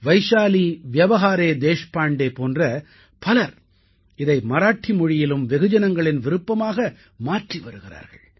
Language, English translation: Tamil, People like Vaishali Vyawahare Deshpande are making this form popular in Marathi